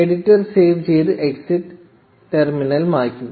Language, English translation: Malayalam, Save and exit the editor, clear the terminal